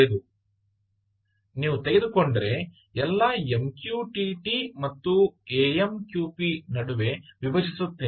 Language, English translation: Kannada, so all of mqtt, if you take, i will split between mqtt and amqp as we keep explaining